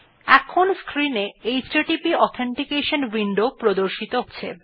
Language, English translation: Bengali, HTTP Authentication window appears on the screen